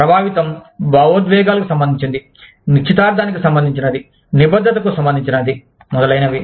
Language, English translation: Telugu, Affect, relates to emotions, relates to engagement, relates to commitment, etcetera